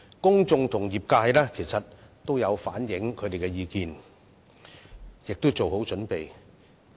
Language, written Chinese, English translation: Cantonese, 公眾和業界已反映意見，並已做好準備。, The public and the trades have already presented their views and made proper preparations